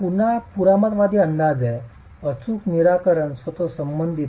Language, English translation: Marathi, This again is a conservative estimate with respect to the exact solution itself